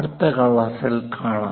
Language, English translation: Malayalam, See you in the next class